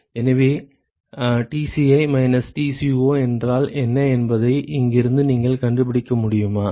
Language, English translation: Tamil, So, from here can you find out what is Tci minus Tco can we eliminate Tco from here